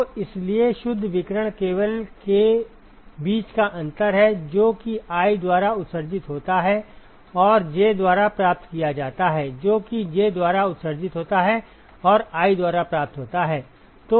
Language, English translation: Hindi, So, therefore, the net radiation is simply the difference between, what is emitted by i and received by j minus what is emitted by j and received by i ok